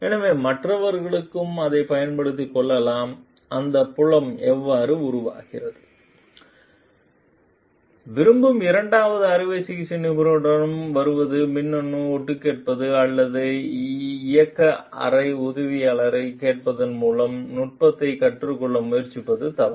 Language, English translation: Tamil, So, that you can others can also gain advantage of and that is how the field develops, coming to the second surgeon who like would it be wrong for the surgeon to try to learn the technique by say electronic eavesdropping or asking an operating room assistant